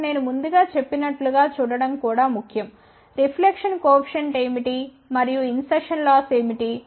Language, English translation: Telugu, Now as I mentioned earlier it is also important to see; what is the reflection coefficient and what is the insertion loss